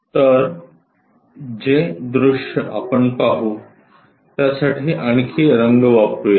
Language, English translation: Marathi, So, the view what we will see is let us use some other color